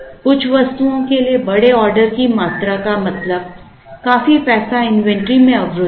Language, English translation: Hindi, Large order quantities for some items would mean quite a lot of money, is locked up in inventory